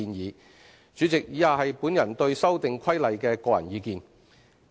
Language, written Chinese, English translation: Cantonese, 代理主席，以下是我對《修訂規例》的個人意見。, Deputy President my personal views on the Amendment Regulation are as follows